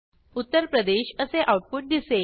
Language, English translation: Marathi, The output will display Uttar Pradesh